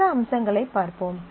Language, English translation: Tamil, Let us look at other features